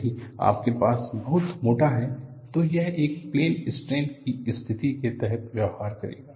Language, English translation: Hindi, If you have a very thick one, it will behave like a plane strain situation